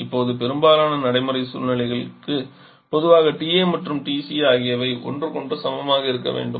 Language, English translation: Tamil, Now for most of the practical situations usually have TC to be equal to each other